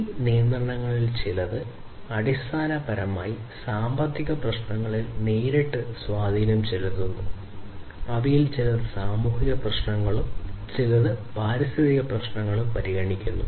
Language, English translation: Malayalam, Some of these regulations are basically having direct impact on the economic issues, some of them have considerations of the social issues, and some the environmental issues